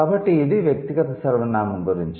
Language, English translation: Telugu, So, this was about personal pronoun